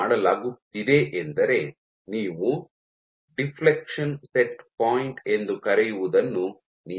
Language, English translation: Kannada, What is being done is actually you control something called the deflection set point